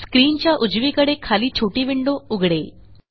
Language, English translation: Marathi, A small window opens at the bottom right of the screen